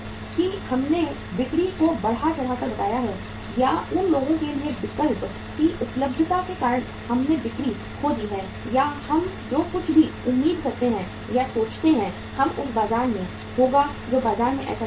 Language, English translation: Hindi, That we have exaggerated the sales or because of the availability of alternative to the people we lost the sales or whatever we expected or thought of that will happen in the market that did not happen like that in the market